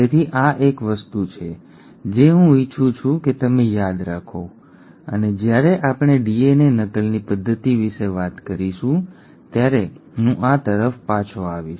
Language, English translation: Gujarati, So this is one thing that I want you to remember and I will come back to this when we are talking about the mechanism of DNA replication